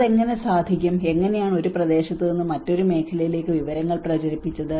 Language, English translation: Malayalam, How it can, how the information has been disseminated from one area to another area